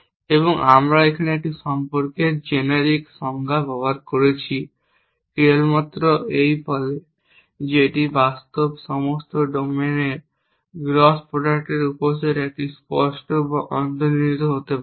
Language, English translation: Bengali, And we have just using the generic definition of a relation here simply saying that is the subset of the gross product of all the domains in practice this could be explicit or implicit